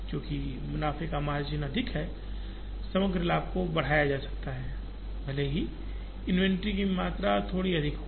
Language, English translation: Hindi, And because the profits margins are higher, the overall profits can be increased, even if the amount of inventory is a little high